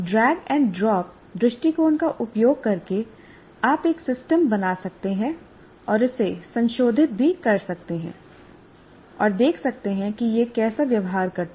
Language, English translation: Hindi, So you can build using kind of a drag and drop approach you can build the system and even keep modifying it and see how it behaves